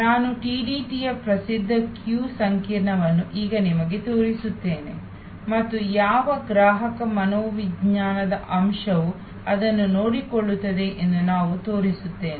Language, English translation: Kannada, I will just now showing you the famous queue complex of TTD and I will just come to it that what consumer psychology aspect it takes care off